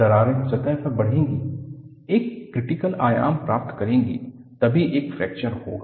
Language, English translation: Hindi, The cracks will grow in surface, attain a critical dimension; only then, fracture will occur